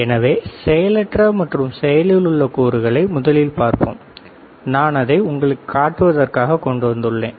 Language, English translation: Tamil, So, let us see passive and active components I will just bring it all the way here